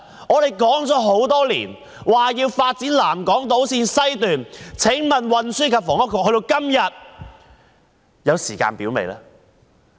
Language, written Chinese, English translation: Cantonese, 我們多年來一直要求發展南港島綫，請問運輸及房屋局今天有時間表了嗎？, We have been calling for the development of the South Island Line West for many years . May I ask if the Transport and Housing Bureau has drawn up a timetable today?